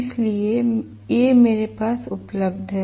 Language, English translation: Hindi, So, these are available with me